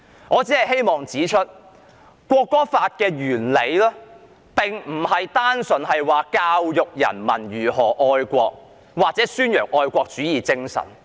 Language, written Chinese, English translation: Cantonese, 我只是希望指出，《條例草案》的理念並非單純是教育人民如何愛國或宣揚愛國主義精神。, I just want to point out that the idea of the Bill is not simply to educate people about loving the country or promote the spirit of patriotism